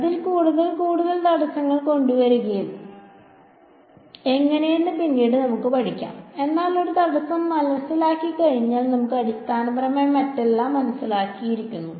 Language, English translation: Malayalam, Later on we can study how to make more bring more and more obstacles in to it, but once we understand one obstacle we basically would have understood everything else let us call this surface S over here ok